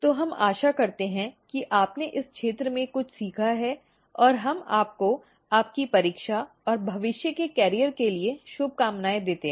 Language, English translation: Hindi, So, we hope that you have learnt something in this field and we wish you all the very best for your examination and future career